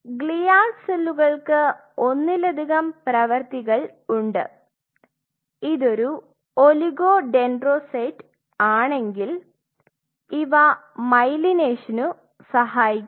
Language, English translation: Malayalam, And glial cells have multiple functions if it if it is an oligodendrocyte, then it supports the myelination